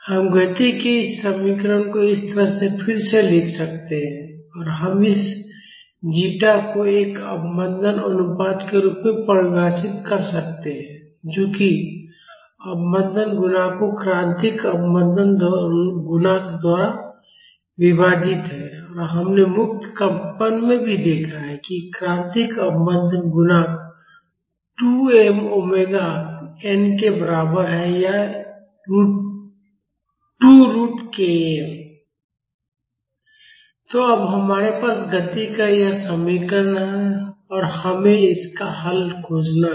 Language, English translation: Hindi, We can rewrite this equation of motion like this and we can define this zeta as a damping ratio which is the damping coefficient divided by the critical damping coefficient and we have also seen in free vibrations that the critical damping coefficient is equal to 2 m omega n or 2 root k m